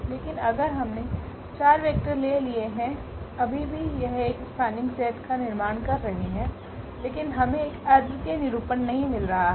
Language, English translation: Hindi, But, if we have taken the 4 vectors still it is forming a spanning set, but we are not getting a unique representation